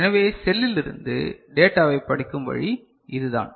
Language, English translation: Tamil, So, this is the way data is read from the cell, fine